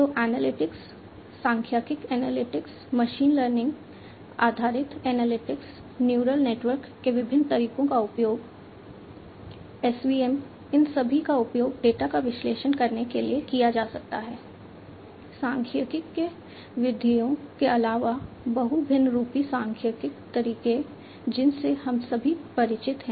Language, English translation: Hindi, So, analytics, statistical analytics, machine learning based analytics, use of different methods you know neural networks, SVM, etcetera, you know, all of these could be used to analyze the data, in addition to the statistical methods the multivariate statistical methods that we are all familiar with